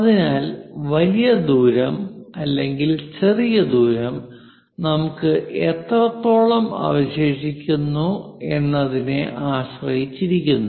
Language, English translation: Malayalam, So, the greater distance, smaller distance depends on how much length we have leftover